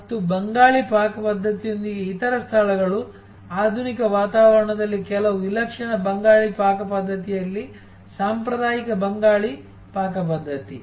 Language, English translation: Kannada, And other places with serve Bengali cuisine, traditional Bengali cuisine in some exotic Bengali cuisine in a modern ambiance